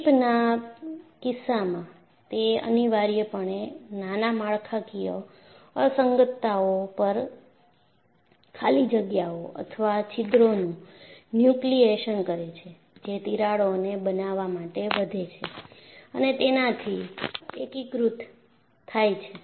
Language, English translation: Gujarati, So, in the case of a creep, it is essentially nucleation of voids or holes at microstructural inhomogenities, which grow and coalesce to form cracks